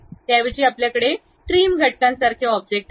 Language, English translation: Marathi, Instead of that, we have an object like trim entities